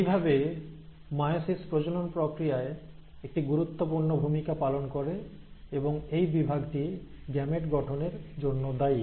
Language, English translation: Bengali, So meiosis plays a very important role in sexual reproduction and it is this division which is responsible for gamete formation